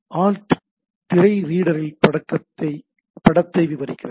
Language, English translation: Tamil, And alt describes the image on the screen reader right